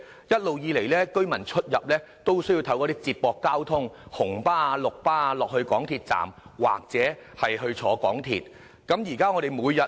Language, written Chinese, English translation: Cantonese, 一直以來，居民都需要乘搭接駁交通出入，例如乘搭紅色小巴或綠色小巴到港鐵站轉乘港鐵。, Thus residents can get to MTR stations only by means of feeder transport services such as red or green minibuses